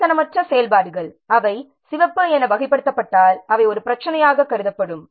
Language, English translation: Tamil, Non critical activities they are likely to be considered as a problem if they are classified as red